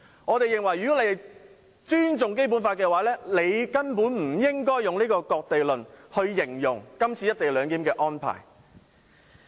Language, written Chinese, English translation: Cantonese, 我認為他們若尊重《基本法》，根本不應以"割地論"形容今次"一地兩檢"的安排。, In my view if they respected the Basic Law they should not have described this co - location arrangement as a cession of land at all